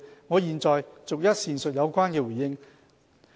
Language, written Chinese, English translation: Cantonese, 我現在逐一闡述有關回應。, I will now respond accordingly